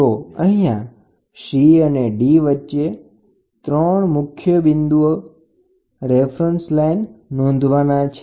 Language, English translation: Gujarati, So, here in between C and D, there are 3 points to be noted